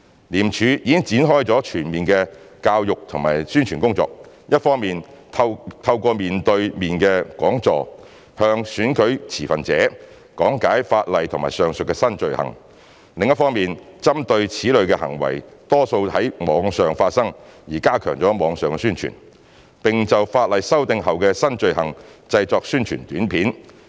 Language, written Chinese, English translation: Cantonese, 廉署已展開全面的教育及宣傳工作，一方面透過面對面的講座，向選舉持份者講解法例及上述的新罪行；另一方面針對此類行為多在網上發生而加強網上宣傳，並就法例修訂後的新罪行製作宣傳短片。, ICAC has kick - started a holistic educational and publicity programme by organizing face - to - face sessions to brief stakeholders in the elections on the electoral law and aforementioned new offences while strengthening the online publicity campaign by producing promotional videos on the new offences after the legislative amendments considering that this type of behaviours mostly occur on the Internet